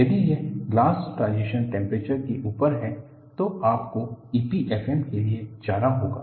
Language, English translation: Hindi, If it is above glass transition temperature, then you will have to go for E P F M